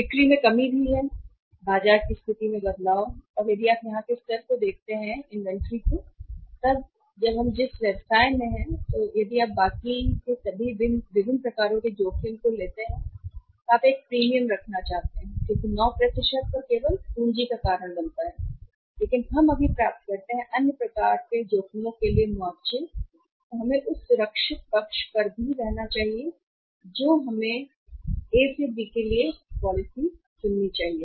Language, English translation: Hindi, Lack of sales is also there, change of the market condition and if you look at here the level of inventory this is also there when we are into business to take different types of the rest if you want to have a premium for the risk because at 9 % only just cause of capital but we just get compensation for the other sort of the risks also we should use to be on the safer side we should select the policy A to B